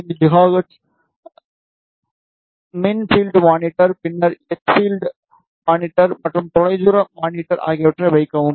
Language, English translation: Tamil, 45 gigahertz, e field monitor then h field monitor, and far field monitor also ok